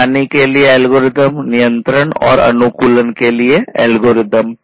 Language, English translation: Hindi, Algorithms for monitoring, algorithms for control algorithms, for optimization, and so on